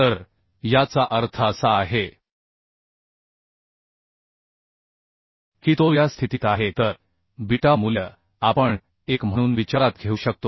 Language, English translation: Marathi, 242 so it is means it is under this condition so beta value we can consider as 1